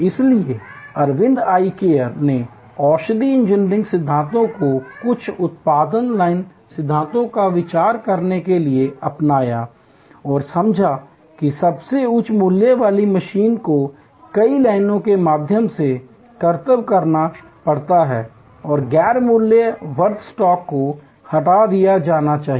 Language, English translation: Hindi, So, Aravind Eye Care adopted industrial engineering principles to some extend production line principles and understood that the most high value machine has to be feat through multiple lines and non value adding stop should be removed